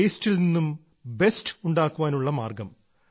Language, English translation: Malayalam, The way to make the best out of the waste